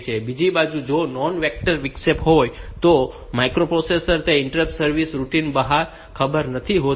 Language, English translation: Gujarati, On the other hand if it is a non vectored interrupt, then the interrupt service routine is not known to the microprocessor